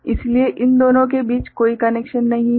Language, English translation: Hindi, So, they are not connected with each other